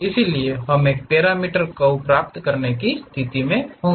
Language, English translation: Hindi, So, that one will we will be in a position to get a parameter curve